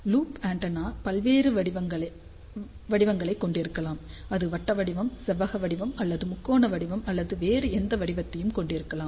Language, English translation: Tamil, So, loop antenna can have various shapes, it can have circular shape, rectangular shape or triangular shape or any other shape